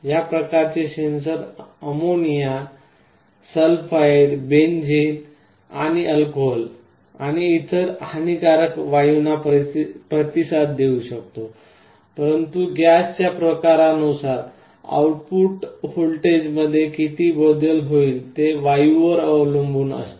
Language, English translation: Marathi, This kind of a sensor can respond to gases like ammonia, sulphide, benzene and also alcohol and other harmful gases, but depending on the type of gas, how much change there will be in the output voltage will vary, it varies from gas to gas